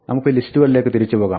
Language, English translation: Malayalam, Let us go back to lists